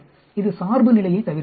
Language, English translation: Tamil, It avoids bias